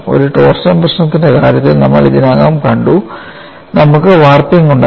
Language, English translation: Malayalam, In the case of a torsion problem, we had warping